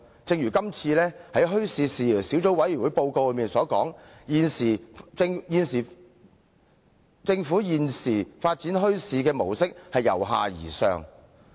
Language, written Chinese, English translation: Cantonese, 正如墟市事宜小組委員會報告所述，現時政府發展墟市的模式是由下而上。, As stated in the report of the Subcommittee the Government now adopts a bottom - up approach in the development of bazaars